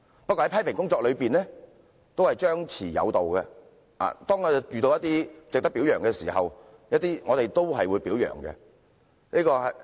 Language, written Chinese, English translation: Cantonese, 不過，批評工作也講求張弛有度，遇到一些值得表揚的事情，我們也會表揚。, However criticisms should also be reasonable . If we come across something praiseworthy we will extend our praises